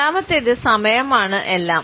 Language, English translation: Malayalam, The second is that timing is everything